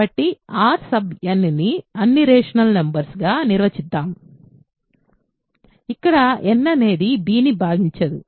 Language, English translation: Telugu, So, let us define R n to be all rational numbers, where n does not divide b